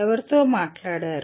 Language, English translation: Telugu, Who spoke to …